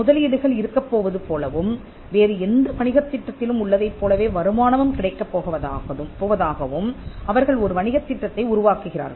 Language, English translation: Tamil, They make a business plan like there is going to be investments and there are going to be returns just like an in any other business plan